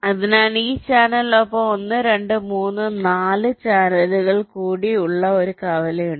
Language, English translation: Malayalam, so with this channel there is a intersection with one, two, three, four mode channels